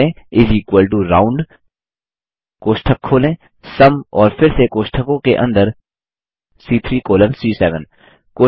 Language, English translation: Hindi, Type is equal to ROUND,open brace SUM and again within braces C3 colon C7